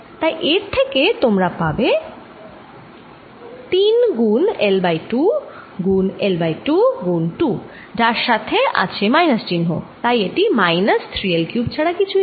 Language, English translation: Bengali, so this gives you three times l by two, times l square times two, which is with the minus sign here, which is nothing but minus three l cubed